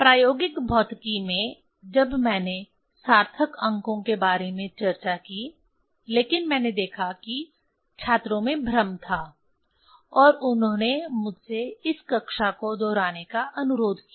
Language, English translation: Hindi, In experimental physics when I discussed this about significant figure; but I saw, there was confusion among the students and they requested me to repeat this class